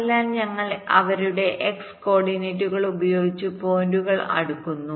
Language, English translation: Malayalam, so we sort the points by their x coordinates